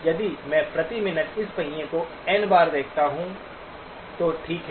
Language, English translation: Hindi, If I view this wheel N times per minute, okay